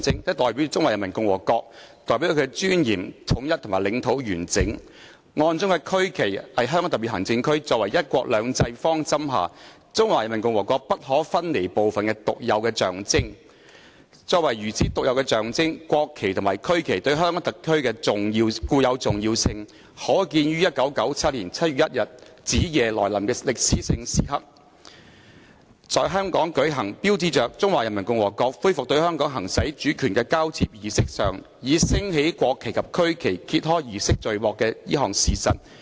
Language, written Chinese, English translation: Cantonese, 它代表中華人民共和國，代表她的尊嚴、統一及領土完整......案中區旗是香港特別行政區，作為'一國兩制'方針下中華人民共和國不可分離部分的獨有的象徵......作為如此獨有的象徵，國旗及區旗對香港特區的固有重要性可見於1997年7月1日子夜來臨的歷史性時刻，在香港舉行，標誌着中華人民共和國恢復對香港行使主權的交接儀式上，以升起國旗及區旗揭開儀式序幕的這項事實。, It represents the Peoples Republic of China with her dignity unity and territorial integrity The regional flag is the unique symbol of the Hong Kong Special Administrative Region as an inalienable part of the Peoples Republic of China under the principle of one country two systems The intrinsic importance of the national flag and the regional flag to the HKSAR as such unique symbols is demonstrated by the fact that at the historic moment on the stroke of midnight on 1 July 1997 the handover ceremony in Hong Kong to mark the Peoples Republic of Chinas resumption of the exercise of sovereignty over Hong Kong began by the raising of the national flag and the regional flag